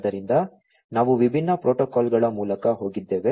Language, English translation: Kannada, So, we have gone through different protocols